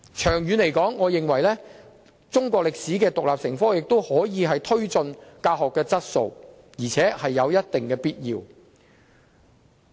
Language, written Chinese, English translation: Cantonese, 長遠而言，我認為中史獨立成科，有助推進教學質素，而且有一定必要。, In the long run teaching Chinese history as an independent subject will I believe be conducive to improving teaching quality which is a matter of necessity